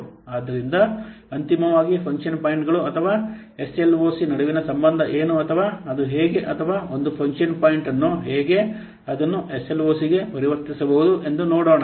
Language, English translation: Kannada, So, finally, let's see what the relationship or how, what is the relationship between function points or SLOC or how, a given a function point, how it can be conversed to SLOC